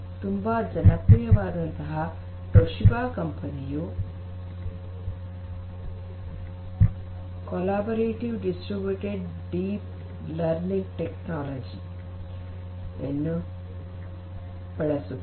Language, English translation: Kannada, The company Toshiba of which we are very much familiar, Toshiba uses something known as the collaborative distributed deep learning technology